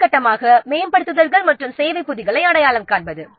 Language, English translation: Tamil, Then the next step is identify upgrades and service packs